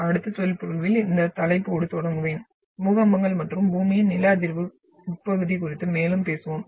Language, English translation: Tamil, But I will start with this topic in the next lecture and we will talk more on the earthquakes and the seismic interior of Earth